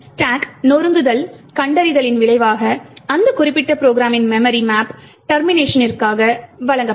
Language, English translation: Tamil, So, the result of the stack smashing detection would also, provide the memory map of that particular program at the point of termination